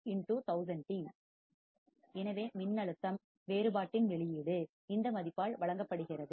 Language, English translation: Tamil, So, output of the voltage differentiator is given by this value